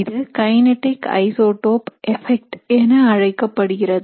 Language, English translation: Tamil, So this is called as the kinetic isotope effects